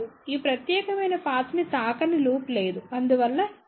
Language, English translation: Telugu, There is no loop which is not touching this particular path hence other terms are 0